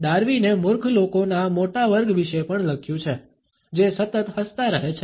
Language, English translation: Gujarati, Darwin has also written about the large class of idiots, who are constantly smiling